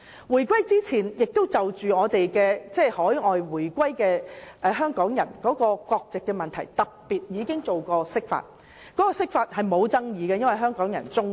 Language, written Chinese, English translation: Cantonese, 回歸前，有關海外回流港人的國籍問題亦曾特別進行釋法，而該次釋法並無引起爭議，因為得到香港人支持。, Before the reunification an interpretation had also been made specifically of the nationality issue of overseas returnees without arousing any controversy as it was supported by Hong Kong people